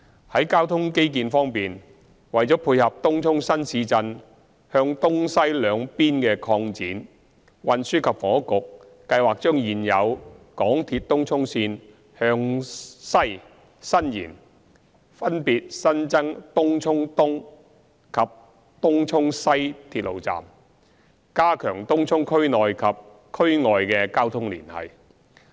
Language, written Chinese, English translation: Cantonese, 在交通基建方面，為配合東涌新市鎮向東西兩邊的擴展，運輸及房屋局計劃將現有港鐵東涌線向西伸延，分別新增東涌東及東涌西鐵路站，加強東涌區內及與區外的交通連繫。, On transport infrastructure to cater for the eastward and westward expansion of the new town the Transport and Housing Bureau plans to extend the existing Tung Chung Line to the west with the addition of Tung Chung East Station and Tung Chung West Station to enhance internal and external connectivity of Tung Chung